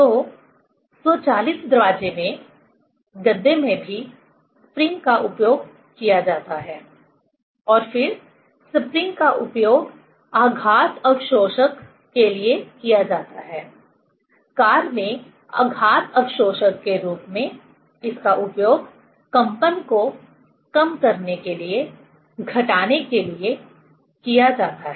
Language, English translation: Hindi, So, in door closure, in mattresses also spring is used, and then spring is used for shock absorber, as a shock absorber in car it is used to minimize, to damp the vibration